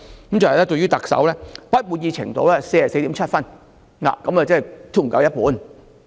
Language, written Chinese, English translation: Cantonese, 當中，對特首的滿意度是 44.7 分，即低於一半。, In it the satisfaction with the Chief Executive is 44.7 that is less than half